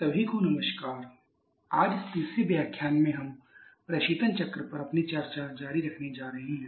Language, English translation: Hindi, Hello everyone so today in this third lecture we are going to continue our discussion on the refrigeration cycles